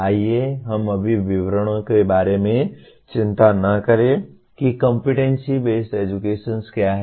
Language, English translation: Hindi, Let us not worry about the details right now what is competency based education